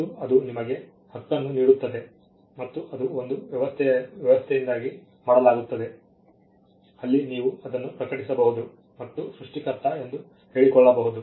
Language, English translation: Kannada, And that itself gives you are right and, that is done because of an arrangement, where you can just publish it and claim to be the creator